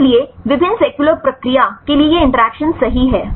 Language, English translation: Hindi, So, these interactions are important right for various cellular process right